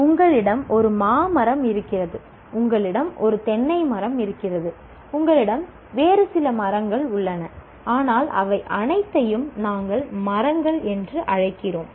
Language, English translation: Tamil, You have a mango tree, you have a coconut tree, you have a coconut tree, you have some other tree, but we call all of them as trees